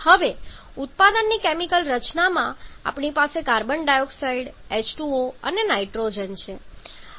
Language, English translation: Gujarati, Now in the chemical composition of the product we have carbon dioxide H2O and nitrogen